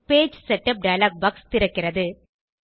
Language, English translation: Tamil, The Page Setup dialog box opens